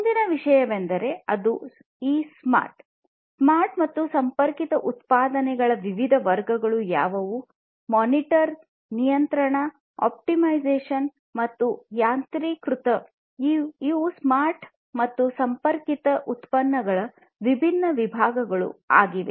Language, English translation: Kannada, The next thing is that; what are the different categories of these smart and connected products; monitor, control, optimization, and automation; these are these different categories of smart and connected products